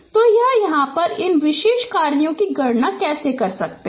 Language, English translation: Hindi, So, this is how you can compute this particular operations